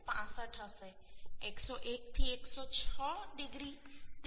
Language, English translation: Gujarati, 65 101 to 106 degree it is 0